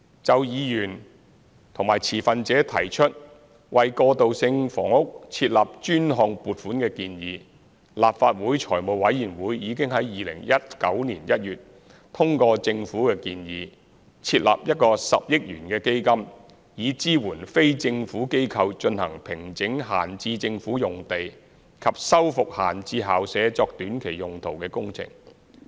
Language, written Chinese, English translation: Cantonese, 就議員及持份者提出為過渡性房屋設立專項撥款的建議，立法會財務委員會已於2019年1月通過政府的建議，設立一個10億元的基金，以支援非政府機構進行平整閒置政府用地及修復閒置校舍作短期用途的工程。, In regard to the proposal from some Members and stakeholders of setting up a dedicated fund for transitional housing the Finance Committee of the Legislative Council endorsed a government proposal in January 2019 to set up a 1 billion fund to support NGOs in their projects of formation of idle Government land and renovation of vacant school premises for short - term uses